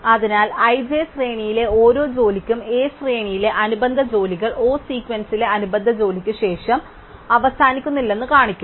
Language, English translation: Malayalam, So, we will actually show that for each job in the sequence i and j, the corresponding job in the A sequence finishes no later than the corresponding job in the O sequence